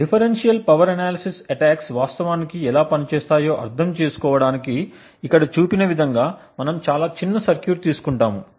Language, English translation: Telugu, To understand how differential power analysis attacks actually work, we will take a very small circuit as shown over here